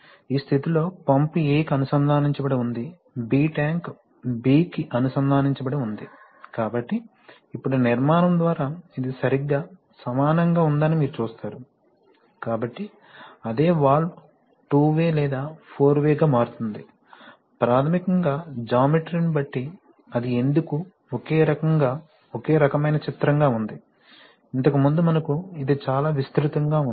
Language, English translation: Telugu, While in this position pump is connected to A and tank is connected to, B is connected to tank, so how, so you see that now by construction, this is exactly similar, so the same valve is becoming two way or four way, basically depending on the geometry, then how, why it is this, is the same type of figure, only thing is that previously we had this one as very wide